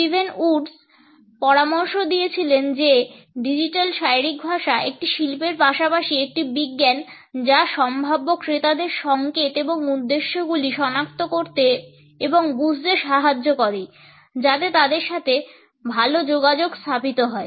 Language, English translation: Bengali, Steven Woods suggested that digital body language is an art as well as a science which revolves around detecting and understanding prospective buyers signals and intentions to better communicate with them